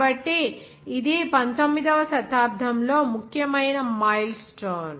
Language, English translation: Telugu, So this was one of the important the milestone of at that 19th century